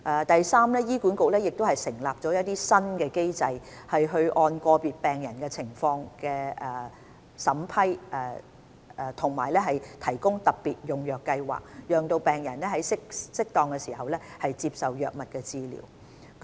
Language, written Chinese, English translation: Cantonese, 第三，醫管局亦設立新機制，按個別病人的情況審批及提供特別用藥計劃，讓病人在適當時接受藥物治療。, Third HA has also put in place a new mechanism to vet approve and provide drugs under the Expanded Access Programme for patients with regard to their individual needs allowing them to receive drug treatment at opportune time